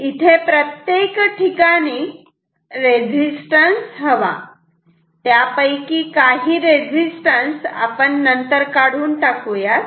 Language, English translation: Marathi, We should have resistances everywhere, then we will eliminate some of them later